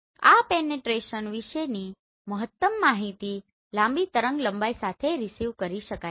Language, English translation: Gujarati, Maximum information about this penetration can be achieved with the longer wavelength